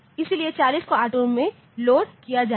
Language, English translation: Hindi, So, the 40 will be loaded into R2